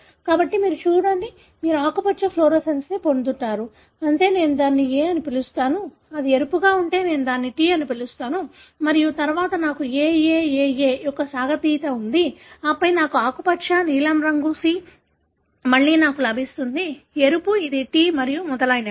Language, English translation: Telugu, So you see, you get a green fluorescence that means I call it as A, if it is red I call it as T and then, I have a stretch of AAAA and then I get a green, blue that is C, again I get a red, which is T and so on